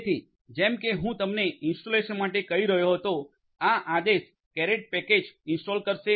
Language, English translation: Gujarati, So, as I was telling you for installation, this command will install the caret package